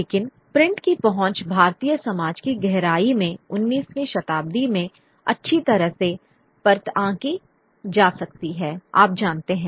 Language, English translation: Hindi, And but the Prince foray into the depths of Indian society could only be perceived well into the 19th century, you know